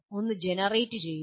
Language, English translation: Malayalam, One is generate